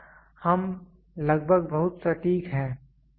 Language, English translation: Hindi, Here it is almost very precise